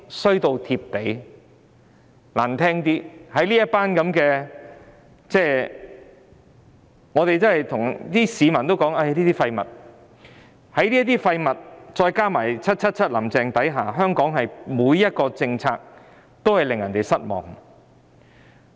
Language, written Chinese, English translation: Cantonese, 說得難聽些，香港已經"衰到貼地"，在這些"廢物"加上 "777" 或"林鄭"的管治下，香港每項政策都令市民失望。, To be blunt Hong Kong is really at the bottom of fortunes wheel . Under the governance of these dregs and 777 or Carrie LAM members of the public find their every policy disappointing